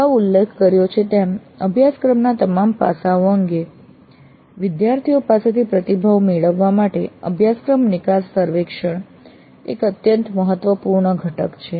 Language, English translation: Gujarati, As already noted, the course exit survey is an extremely important component to obtain feedback from the students regarding all aspects of the course